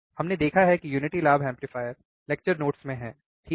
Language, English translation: Hindi, We have seen what is unity gain amplifier in the lecture notes, right